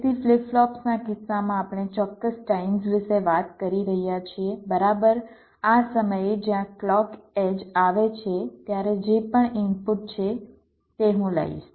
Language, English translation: Gujarati, ok, so in case of flip flops, we are talking about precised times, exactly at this time where the clock edge occurs, whatever is the input